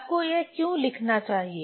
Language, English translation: Hindi, Why one should write this one